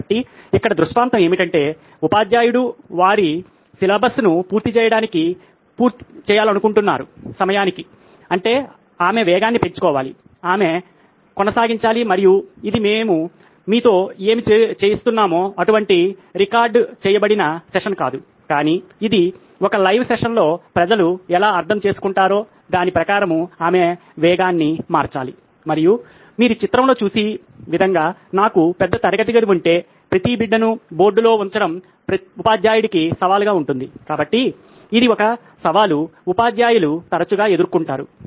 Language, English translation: Telugu, So, here the scenario is that the teacher wants to finish their syllabus on time which means she has to keep the pace up, she has to keep going and this is not a recorded session like what we are doing with you but this is a live session where she has to change pace according to how people understand and if I have a large class like what you see in the picture it is going to be a challenge for the teacher to keep every child on board, so this is a challenge that teachers often face